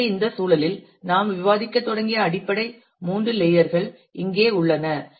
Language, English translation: Tamil, So, in this context then the basic three layers that we started discussing with are here